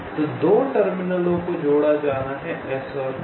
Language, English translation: Hindi, so the two terminals to be connected are s and t